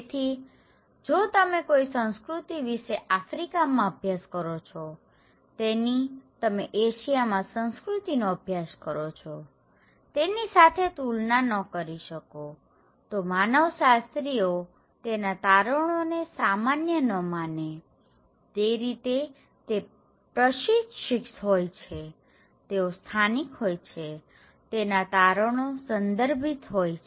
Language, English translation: Gujarati, Therefore, if you are studying some culture in Africa, you cannot compare that when you are studying a culture in Asia so, the anthropologist are trained in such a way that they do not generalize their findings so, they are very localized, contextualize their findings